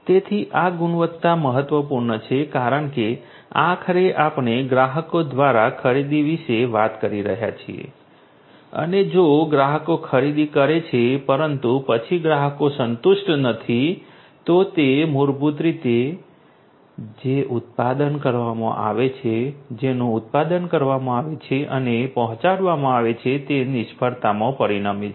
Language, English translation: Gujarati, So, this quality is important because ultimately we are talking about purchase by the customers and if the customers purchase, but then the customers are not satisfied, then that basically results in the failure of the product that is made that is manufactured and is delivered